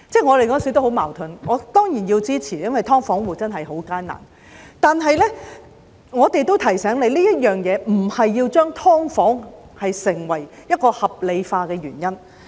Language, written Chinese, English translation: Cantonese, 我當時感到很矛盾，我當然是要支持的，因為"劏房戶"的情況真的很艱難，但我也要提醒政府，這不能成為將"劏房"合理化的原因。, I had mixed feelings at that time . I will surely support it because the situation of tenants living in subdivided units is really very difficult but I also wish to remind the Government that this cannot be taken as a reason to rationalize the existence of subdivided units